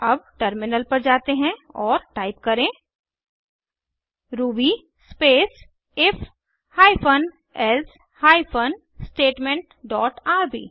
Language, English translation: Hindi, Now, let us switch to the terminal and type ruby space if hyphen else hyphen statement dot rb and see the output